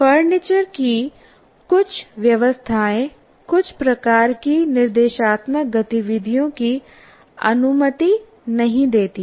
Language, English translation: Hindi, And some arrangements of the furniture do not permit certain types of instructional activities